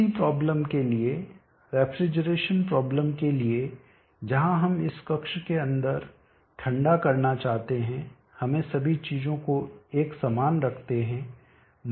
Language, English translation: Hindi, For the same problem for the refrigeration problem where we want to cool inside of this chamber let us keep all things same